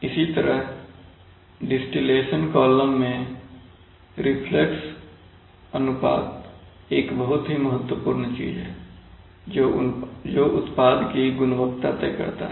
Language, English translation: Hindi, Similarly in distillation columns, reflux ratio is a very important thing which decides product quality